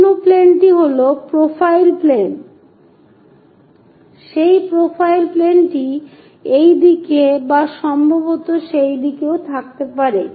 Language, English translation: Bengali, The other plane is profile plane, that profile plane can be on this side or perhaps on that side also